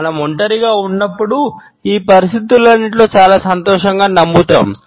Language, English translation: Telugu, When we are alone we would smile in all these situations in a very happy manner